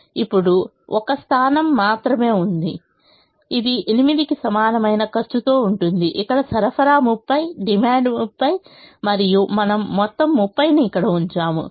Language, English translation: Telugu, there is only one position, which is this position with cost equal to eight, where the supply is thirty, the demand is thirty, and we put all thirty here